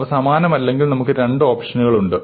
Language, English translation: Malayalam, If they are not the same, well then we have two options, right